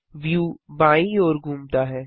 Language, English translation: Hindi, The view rotates to the left